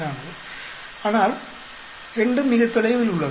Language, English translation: Tamil, 44, 2 is very far